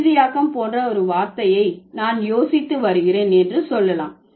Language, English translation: Tamil, So, let's say I'm thinking about a word like finalizing, okay